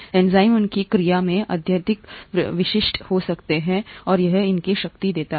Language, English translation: Hindi, Enzymes can be highly specific in their action, and that’s what gives it its power